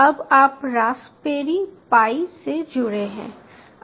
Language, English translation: Hindi, now you are connect to, to the raspberry pi